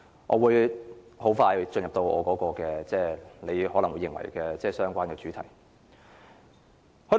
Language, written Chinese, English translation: Cantonese, 我會很快進入你認為的相關主題。, I will talk about issues which you consider relevant to the subject shortly